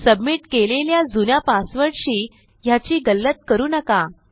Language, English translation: Marathi, Dont mistake this with the old password that has been submitted